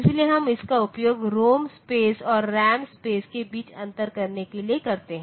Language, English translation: Hindi, So, we use that to differentiate between the ROM space and the RAM space